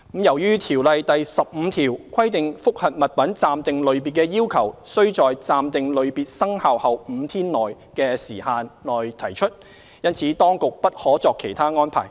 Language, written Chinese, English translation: Cantonese, 由於《條例》第15條規定覆核物品暫定類別的要求須在"暫定類別生效後5天內"的時限內提出，因此當局不可作其他安排。, As section 15 of COIAO requires that a request to review an articles interim classification be made within five days of that interim classification taking effect the Government and OAT cannot make any other arrangements